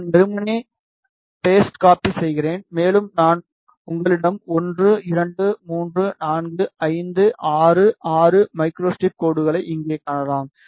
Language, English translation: Tamil, I just simply copy paste and further I will change you can see here 1,2,3,4,5,6 micro strip lines you have